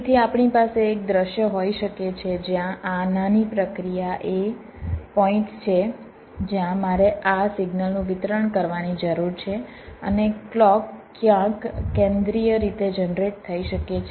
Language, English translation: Gujarati, so we can have a scenario like where this small process are the points where i need to distribute this signal and may be the clock is generated somewhere centrally